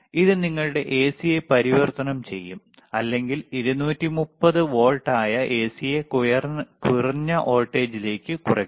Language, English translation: Malayalam, iIt will convert your AC orto step down then give the AC, which is lower 230 volts, to whatever voltage